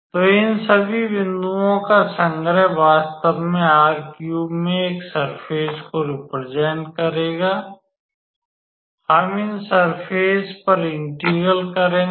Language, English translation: Hindi, So, the collection of all these points will actually represent a surface in R3 and we will actually do the integration on these surfaces